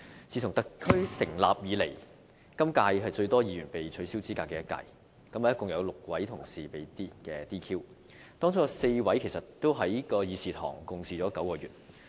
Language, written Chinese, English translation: Cantonese, 自特區成立以來，今屆是最多議員被取消資格的一屆，共有6位同事被 "DQ"， 當中有4名議員曾在這個會議廳共事9個月。, In the current - term Legislative Council a total of six colleagues have been disqualified or DQ the largest number of Members being disqualified since the establishment of the Special Administrative Region . We have worked with four of the DQ Members in this Chamber for nine months